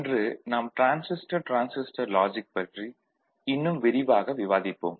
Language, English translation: Tamil, Today we shall discuss more of Transistor Transistor Logic